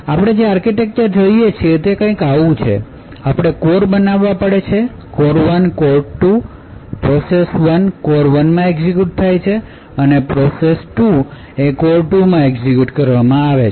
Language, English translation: Gujarati, So the architecture we are looking at is something like this, we have to cores; core 1 and core 2, the process is executing in core 1 and process two is executed in core 2